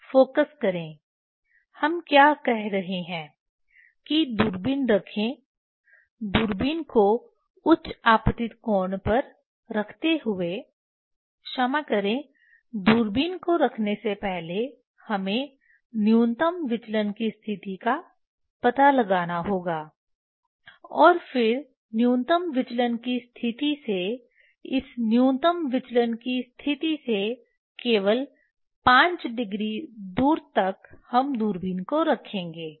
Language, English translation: Hindi, focus what we are telling that keeping the telescope; keeping the telescope at higher incident angle sorry keeping the telescope first we have to find out the minimum deviation position and then from minimum deviation position just 5 degree away from this minimum deviation position we will keep the telescope